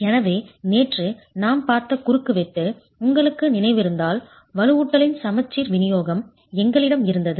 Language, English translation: Tamil, So if you remember the cross section that we were looking at yesterday, we had a symmetrical distribution of reinforcement